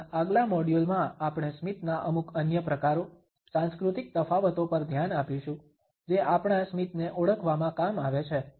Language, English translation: Gujarati, In our next module we would look at certain other types of a smiles, the cultural differences which also exist in the way our smiles are recognised